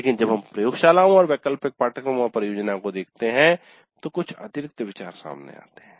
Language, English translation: Hindi, But when we look at laboratories and elective courses and project, certain additional considerations do come into picture